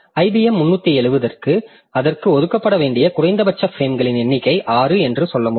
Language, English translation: Tamil, So, I can say that for IBM 370 the minimum number of frames that should be allocated to it should be six